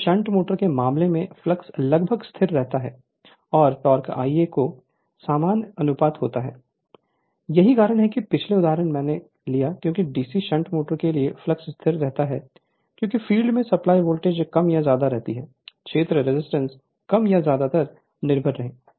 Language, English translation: Hindi, Now in case of a shunt motor the flux phi approximately constant and the torque is proportional to I a that is why the previous example I took because flux for DC shunt motor remain constant because field is supply voltage more or less remain constant, field resistance more or less remain constant